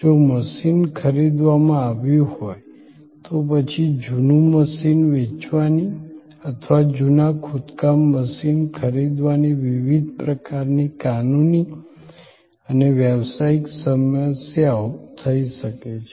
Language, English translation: Gujarati, If the machine was purchased, then selling a second hand machine or buying a way second hand excavation machine may post different kinds of legal and business problems